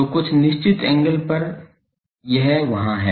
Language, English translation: Hindi, So, up to certain angle it is there